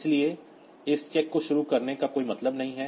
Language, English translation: Hindi, So, there is no point doing this check at the beginning